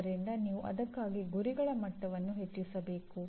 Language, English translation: Kannada, So you have to increase the target levels for that, okay